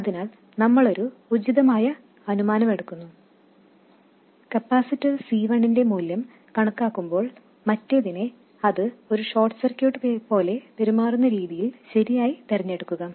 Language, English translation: Malayalam, So, we will make a reasonable assumption that while calculating the value of capacitor C1, the other one is chosen correctly such that it does behave like a short circuit